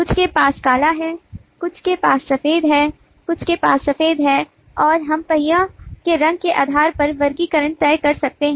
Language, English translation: Hindi, some have black, some have white, some have white and we can decide a classification based on the colour of the wheel